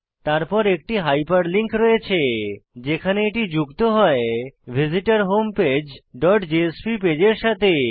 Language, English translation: Bengali, Then, we have a hyperlink, which links to a page called visitorHomePage dot jsp